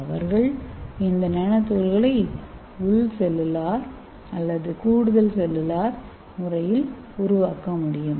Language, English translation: Tamil, So this bacteria can produce the nanoparticles either intra cellularly or it can produce extra cellularly